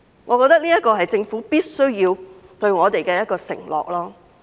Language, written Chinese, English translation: Cantonese, 我認為這是政府必須對我們作出的承諾。, I think this is a promise that the Government must make to us